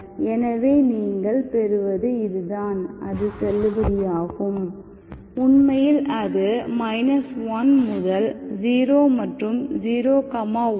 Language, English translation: Tamil, So this is what you get which is valid, actually between minus1 to 0 and 0, 1